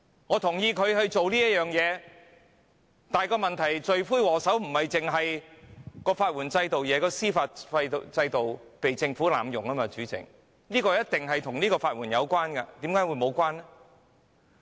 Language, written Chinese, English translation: Cantonese, 我贊同他做這事，但問題是，罪魁禍首不單是法援制度，而是司法制度被政府濫用，主席，這一定與法援有關，為甚麼會沒有關係？, I agree that he should go ahead with this proposal . However the question is the chief culprit is not only the legal aid system rather it is the judicial system being abused by the Government . President this certainly is related to legal aid